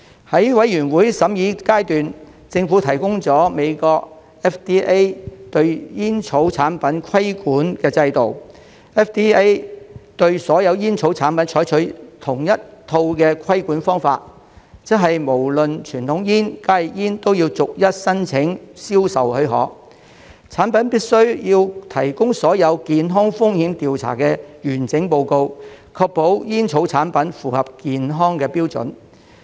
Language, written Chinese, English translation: Cantonese, 在法案委員會審議階段，政府提供了美國 FDA 對煙草產品的規管制度 ，FDA 對所有煙草產品採用同一套規管方法，即無論傳統煙或加熱煙都要逐一申請銷售許可，產品必須提供所有健康風險調查的完整報告，確保煙草產品符合健康標準。, During the deliberations of the Bills Committee the Government had provided information on FDAs regulatory regime for tobacco products . FDA adopts the same regulatory approach for all tobacco products . In other words both conventional cigarettes and HTPs must apply for permission for sales individually and submit a full report on all health risk investigations of the products to ensure that tobacco products comply with the health standards